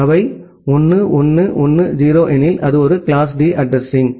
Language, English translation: Tamil, If they are 1 1 1 0, it is a class D address